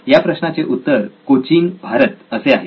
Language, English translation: Marathi, The answer is Cochin, India